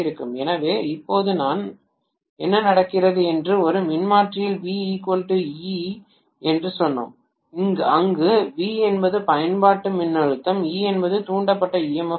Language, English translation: Tamil, So what is happening now is in a transformer we said V is equal to E, where V is the applied voltage, E is the induced emf